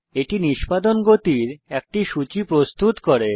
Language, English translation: Bengali, It presents a list of execution speeds